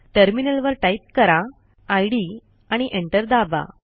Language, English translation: Marathi, At the terminal, let us type id and press Enter